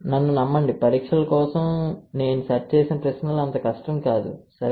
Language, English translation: Telugu, Believe me the exams set, the questions that I have set is not that difficult, alright